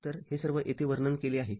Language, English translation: Marathi, So, this is all have been explained here